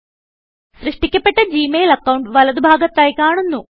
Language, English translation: Malayalam, The Gmail account is created and is displayed on the right panel